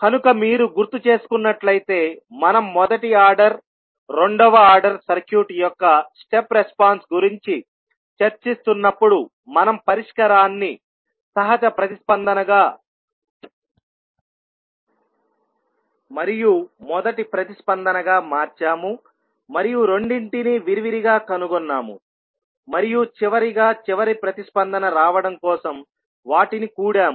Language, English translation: Telugu, So, if you remember when we are discussing about the step response of maybe first order, second order circuit we converted the solution into natural response and the first response and the found both of the response separately and finally we sum then up to get the final response